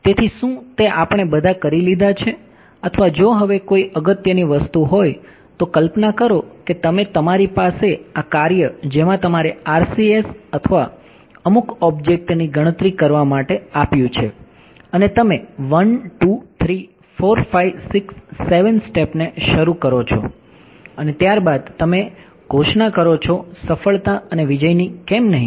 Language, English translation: Gujarati, So, is that all are we done or if there is some important thing now imagine that you are you have this task you have given to calculate RCS or some object and you come start step 1,2,3,4,5,6,7 and you declare success and victory after that no why